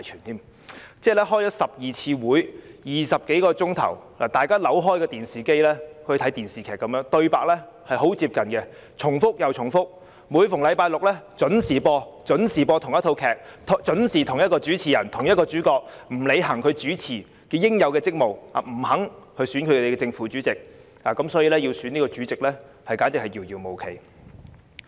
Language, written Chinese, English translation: Cantonese, 我們開了12次會議，歷時20多小時，一如大家開啟電視收看電視劇般，對白均很接近，重複又重複，每逢星期五準時播放同一套劇，由同一個人擔任主持，但卻沒有履行作為主持應有的職務，他不肯選出正、副主席，因此要選出主席，簡直是遙遙無期。, We have held 12 meetings lasting some 20 hours in total . Similar to a TV drama our story line is similar and repetitive . Like watching a TV series shown every Friday at the same time people watch the House Committee meetings every Friday being chaired by the same person who does not fulfil his duty as the chair and refuses to proceed with the procedure of electing the Chairman and Deputy Chairman